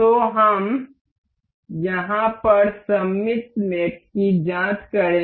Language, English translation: Hindi, So, let us just check the symmetric mate over here